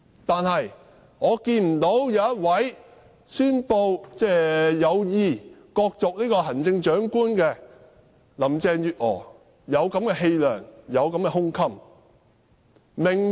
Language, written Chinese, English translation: Cantonese, 但是，我看不到宣布有意角逐行政長官的林鄭月娥有此氣量和胸襟。, But I am not convinced that Carrie LAM a potential Chief Executive Election candidate has this moral character and aspiration